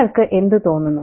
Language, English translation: Malayalam, So what do you think about that